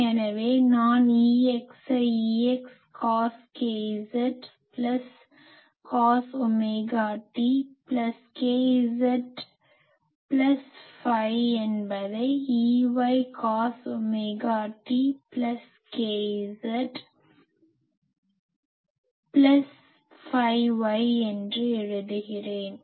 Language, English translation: Tamil, So, I can just write E x is nothing, but E x cos k z plus cos omega t plus k z plus phi x and E y is E y cos omega t plus k z plus phi y